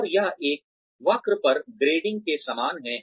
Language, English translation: Hindi, And, it is similar to grading on a curve